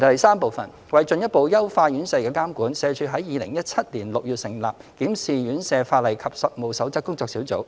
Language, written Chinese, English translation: Cantonese, 三為進一步優化院舍的監管，社署在2017年6月成立"檢視院舍法例及實務守則工作小組"。, 3 To further enhance the regulation of RCHs SWD set up the Working Group on the Review of Ordinances and Codes of Practice for Residential Care Homes in June 2017